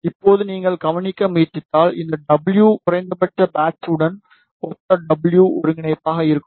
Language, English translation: Tamil, Now, if you try to notice, that this w minimum will be w coordinate which corresponds to patch